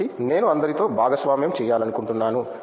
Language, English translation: Telugu, So, something I want to share it with all